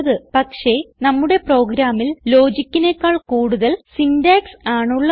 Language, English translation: Malayalam, There is more syntax than logic in our program